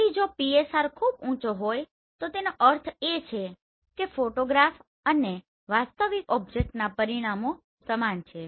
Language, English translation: Gujarati, So if the PSR is very less then that means photograph and the real object they are having similar dimensions right